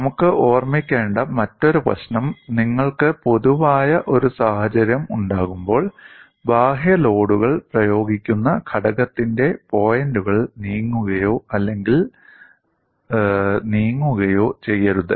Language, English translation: Malayalam, And the other issue what we will have to keep in mind is, when you are having a general situation, the points of the component at which external loads are applied may or may not move